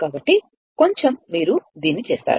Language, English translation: Telugu, So, little bit you do it this one